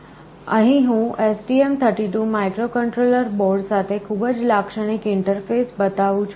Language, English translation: Gujarati, Here I am showing a very typical interface with the STM32 microcontroller board